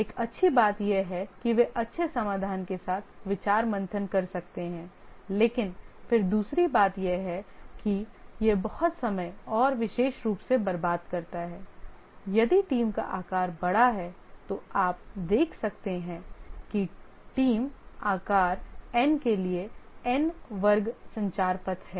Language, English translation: Hindi, One good thing is that they can brainstorm come up with good solutions but then the other thing that it wastes a lot of time and specially if the team size is large you can see that there are for a theme size of n, there are n square communication path